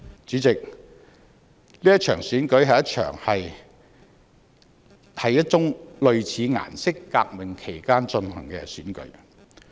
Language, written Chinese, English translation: Cantonese, 主席，這場選舉是一宗類似"顏色革命"。, President this Election is a kind of colour revolution